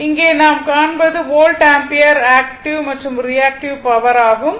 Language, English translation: Tamil, So, you will read this now ah volt ampere active and reactive power right